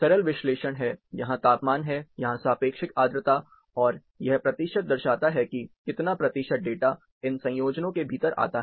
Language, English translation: Hindi, Simple analysis, temperatures here, relative humidity here, and this percentage represent, how much percentage of data, falls within these combinations